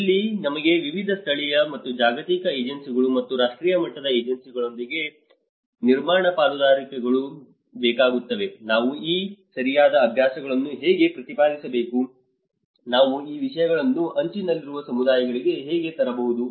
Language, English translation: Kannada, This is where we need the build partnerships with various local and global agencies and national level agencies, how we have to advocate these right practices, how we can bring these things to the marginalized communities